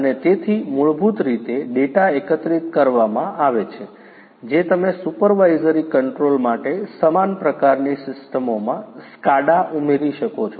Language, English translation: Gujarati, And so basically the data that are collected you know you could even add you know SCADA to similar kind of systems for supervisory control and so on